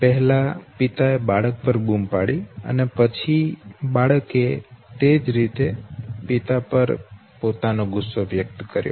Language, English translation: Gujarati, First the father shouted at the child okay, and the child revoked it back exactly the way the father had expressed his anger okay